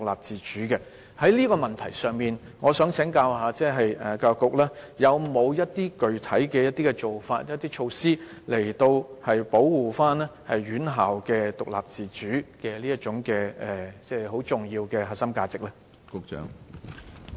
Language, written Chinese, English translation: Cantonese, 就這個問題，我想請教局長，教育局會否採取一些具體做法或措施，以保護院校獨立自主這重要的核心價值？, Concerning this issue may I ask the Secretary whether the Education Bureau will take specific actions or measures to safeguard the autonomy of institutions an important core value of Hong Kong?